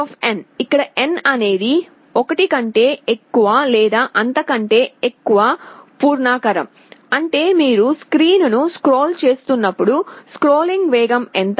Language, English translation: Telugu, setSpeed, where n is an integer greater than or equal to 1, means when you are scrolling the screen, what will be the speed of scrolling